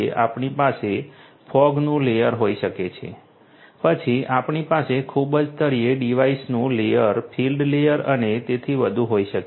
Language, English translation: Gujarati, We have we may have a fog layer we may then have at the very bottom the devices layer the field layer and so on so, all of these different layers are possible